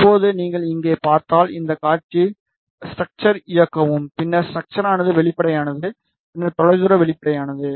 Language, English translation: Tamil, Now, if you see here just enable this show structure then structure transparent and then far field transparent